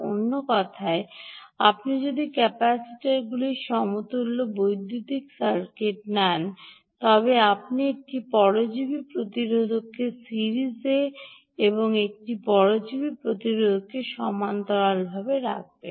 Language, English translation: Bengali, in other words, if you take a capacitors equivalent electrical circuit, you would put one parasitic resistor in series and one parasitic resistor in parallel